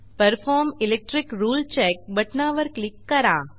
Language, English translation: Marathi, Click on Perform Electric Rule Check button